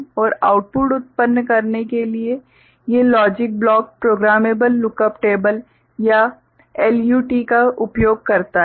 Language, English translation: Hindi, And these logic blocks to generate output uses programmable lookup table or LUT